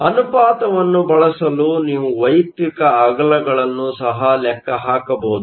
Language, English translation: Kannada, You can also calculate the individual widths for using the ratio